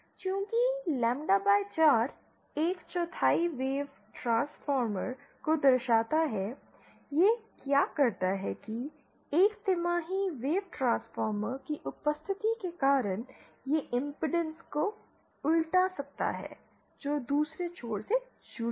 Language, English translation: Hindi, Since lambda by 4 implies a quarter wave Transformer, what this does is, because of the presence of a quarter wave Transformer, the property of a quarter wave Transformer that it can invert the impedance that is connected to the other end